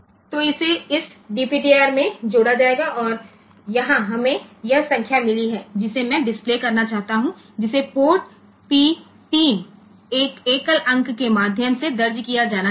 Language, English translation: Hindi, So, that will be added to this DPTR and here we have got this the number that I want to display, that should be entered through port P 3 the 1 single digit